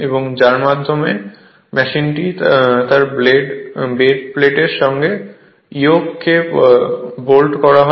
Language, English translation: Bengali, And by means of which the machine is bolted to its your bed plate the yoke